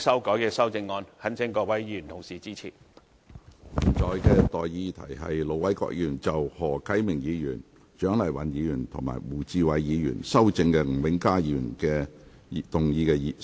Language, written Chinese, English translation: Cantonese, 我現在向各位提出的待議議題是：盧偉國議員就經何啟明議員、蔣麗芸議員及胡志偉議員修正的吳永嘉議員議案動議的修正案，予以通過。, I now propose the question to you and that is That Ir Dr LO Wai - kwoks amendment to Mr Jimmy NGs motion as amended by Mr HO Kai - ming Dr CHIANG Lai - wan and Mr WU Chi - wai be passed